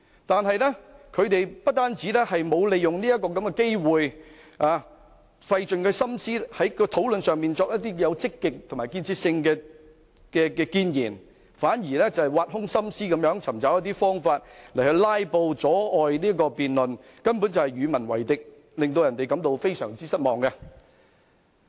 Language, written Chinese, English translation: Cantonese, 但他們不單沒有利用這個機會在討論中費心思作出積極和有建設性的建議，反而挖空心思尋找方法進行"拉布"，阻礙辯論，根本是與民為敵，令人感到非常失望。, But instead of using this opportunity and racking their brain to put forward positive and constructive proposals in the discussion they are obsessed with finding ways to filibuster in order to obstruct the debate actually making themselves the enemies of the people which is very disappointing